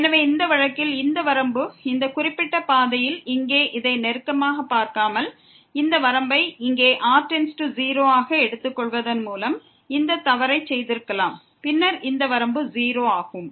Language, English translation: Tamil, So, this is the limit in this case, along this particular path while by not closely looking at this here we could have done this mistake by putting taking this limit here as goes to 0 and then this limit is 0